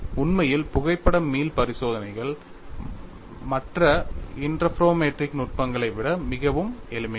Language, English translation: Tamil, In fact, photo elastic experiments are much simpler to perform than other interferometric techniques